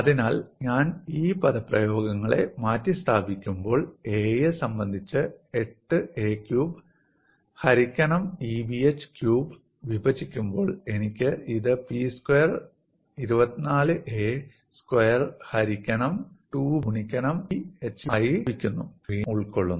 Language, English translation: Malayalam, So, when I substitute these expressions, when I differentiate 8a cube divided by EBh cube with respect to a, I get this as P square 24 a square divided by 2 B into EBh cube, and the expression is recast in this fashion